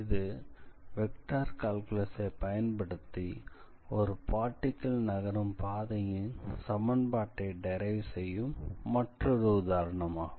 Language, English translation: Tamil, And this is another example where we have used the vector calculus to derive the equation of the curve along which the particle is moving